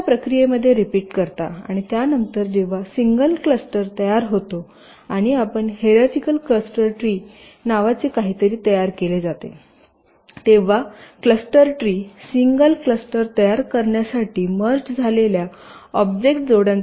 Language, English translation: Marathi, so you repeat this process and you stop when, subsequently, a single cluster is generated and something called a hierarchical cluster tree has been formed, a cluster tree which indicates this sequence of object pairs which have been merged to generate the single cluster